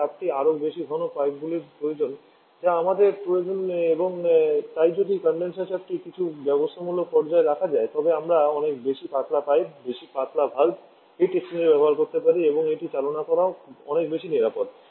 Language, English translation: Bengali, But higher the pressure more thicker pipes that we need and therefore if the condenser pressure can be kept to some manageable level we can use much thinner pipes much thinner valve tech exchanger and also it is much safer to operate